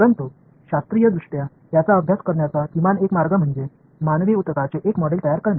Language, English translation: Marathi, But at least one way to scientifically study it, is to build a, let us say, a model of human tissue